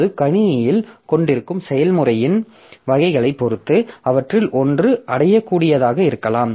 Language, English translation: Tamil, Now, depending upon the type of process that we have in the system, so that one of them may be achievable whereas the other not